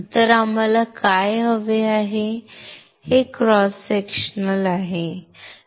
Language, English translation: Marathi, So, what we want is this is a cross sectional